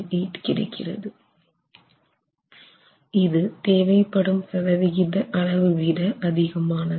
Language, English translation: Tamil, 078 percent which is greater than the 7 percent that is required